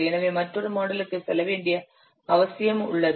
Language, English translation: Tamil, So there is a need to go for another model